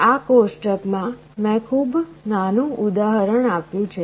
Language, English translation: Gujarati, In this table I have given a very small example